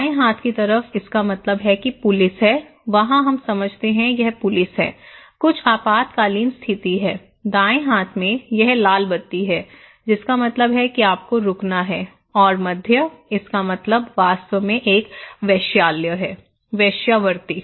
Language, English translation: Hindi, In the left hand side, it means there is a police, there we understand that okay this is the police, something is an emergency, in the right hand side, it is the red light that means you have to stop and in the middle, it means actually a brothel; the prostitutions